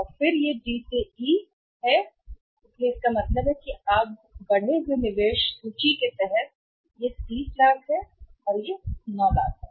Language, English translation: Hindi, And then it is D to E right, it is D to E, so it means what will happen now increased investment inventory is under 30 lakhs then it is 9 lakhs